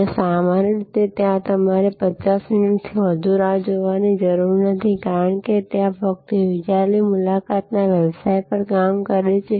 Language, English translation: Gujarati, And usually you do not have to wait more than 50 minutes there, because there only operate on the business of appointment